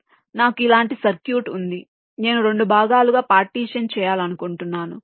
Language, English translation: Telugu, so i have a circuit like this which i want to partition into two parts